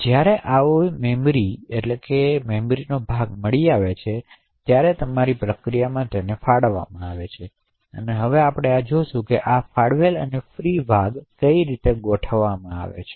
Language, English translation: Gujarati, When such a chunk is found then it would allocate that chunk to your process, so we will now look at how these allocated and free chunks are actually organized